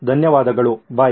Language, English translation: Kannada, Thank you then, bye